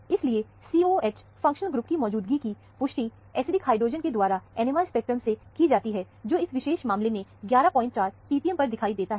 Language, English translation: Hindi, Therefore, the presence of a COOH functional group is essentially confirmed from the NMR spectrum by the acidic hydrogen, which appears at 11